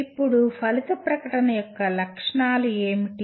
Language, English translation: Telugu, And now what are the features of an outcome statement